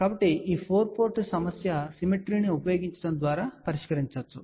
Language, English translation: Telugu, So, this 4 port problem is simplified by using a symmetry